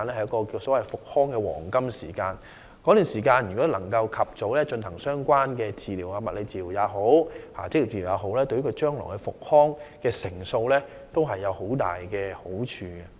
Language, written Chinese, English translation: Cantonese, 如果工友可以在這段時間及早接受相關治療，包括物理治療和職業治療，這對他們康復的機會有莫大幫助。, Employees early receipt of the relevant treatment during this period including physiotherapy and occupational therapy will be greatly beneficial to their chance of recovery